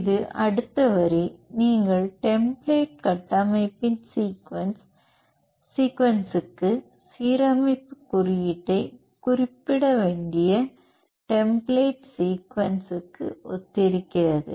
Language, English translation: Tamil, This the next line corresponds to the sequence where you have to specify the align code for the sequence of the template structure